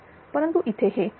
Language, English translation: Marathi, But here it is 7397